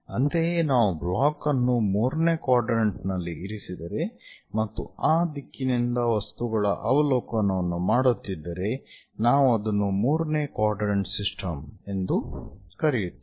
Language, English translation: Kannada, Similarly, if the block is kept in the third quadrant and we are making objects observations from that direction, we call that one as third quadrant system